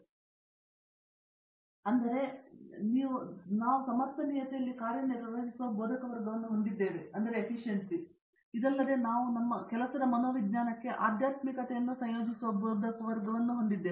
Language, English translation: Kannada, So, we have faculty of working in sustainability, apart from this we have faculty who have been integrating spirituality into psychology of work